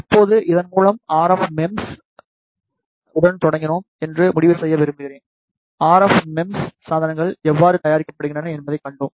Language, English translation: Tamil, Now, with this I would like to conclude we started with RF MEMS, we saw how the RF MEMS devices are made